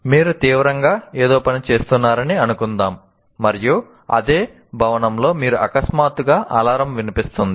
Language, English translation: Telugu, An example is you are working on something intently and you suddenly hear an alarm in the same building